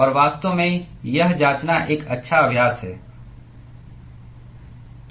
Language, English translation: Hindi, And in fact, it is a good exercise to check